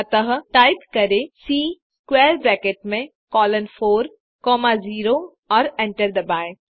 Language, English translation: Hindi, So type C within square bracket 1 comma 1 colon 3 and hit enter